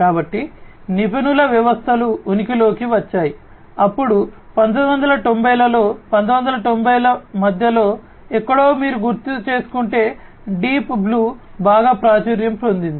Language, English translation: Telugu, So, expert systems came into being, then in the 1990s, somewhere in the middle; middle of 1990s if you recall the Deep Blue became very popular